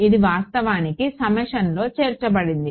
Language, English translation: Telugu, It is included in the summation actually